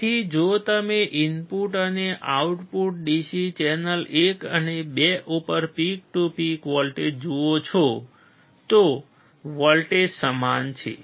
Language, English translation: Gujarati, So, if you see the peak to peak voltage at the input and output DC channel 1 and 2, voltage is same